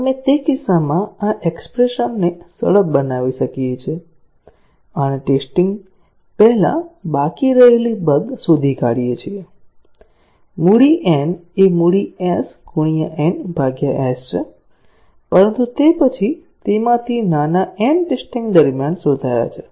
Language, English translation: Gujarati, We can simplify this expression in that case and find the bugs that were remaining before testing; capital N is capital S n by s; but then, small n of them have got detected during testing